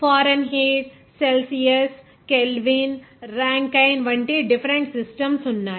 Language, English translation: Telugu, There are different systems like Fahrenheit, Celsius, Kelvin, even Rankine